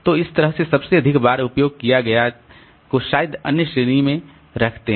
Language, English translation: Hindi, So that way the most frequently used may be the other category